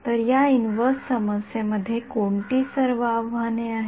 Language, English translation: Marathi, So, what all challenges are there in this inverse problem